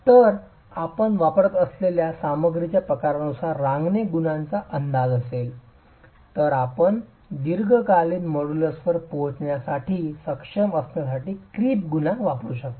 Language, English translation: Marathi, So, depending on the type of material you use, if there is an estimate of the creep coefficient, then you can use the creep coefficient to be able to arrive at the long term modulus